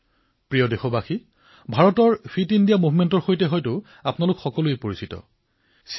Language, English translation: Assamese, My dear countrymen, by now you must be familiar with the Fit India Movement